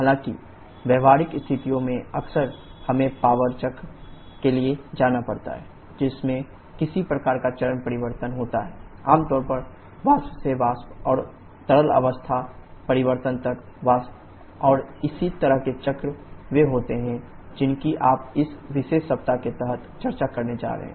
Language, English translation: Hindi, However, in practical situations quite often we have to go for power cycles which involve some kind of phase change, commonly liquid to vapor and vapour to liquid phase change and corresponding cycles are the ones that you are going to discuss in this particular week under the title of vapour power cycles